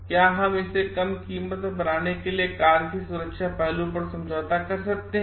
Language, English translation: Hindi, Can we compromise on the safety aspect of the car to make it a low price